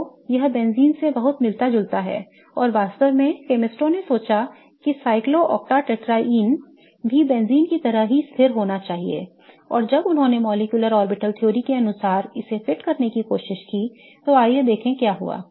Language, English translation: Hindi, So, this is very similar to that of benzene and in fact, chemists thought that cyclocta tetraene should also be equally stable as that of benzene and when they tried to fit this to the molecular orbital theory that they had come up with, let us see what happened